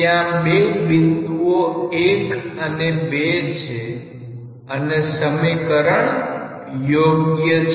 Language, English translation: Gujarati, There are points 1 and 2 and this equation is valid